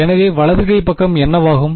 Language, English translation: Tamil, So, what will the right hand side become